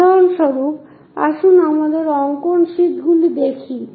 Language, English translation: Bengali, For example, let us look at our drawing sheets